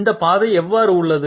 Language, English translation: Tamil, What about this path